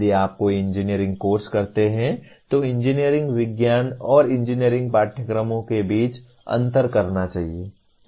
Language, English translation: Hindi, If you take any engineering course, one must differentiate also differences between engineering science and engineering courses